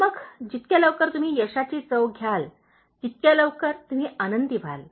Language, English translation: Marathi, Then the earlier you taste success, the earlier you become happy, the better